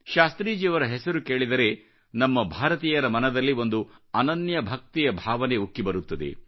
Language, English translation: Kannada, The very name of Shastriji evokes a feeling of eternal faith in the hearts of us, Indians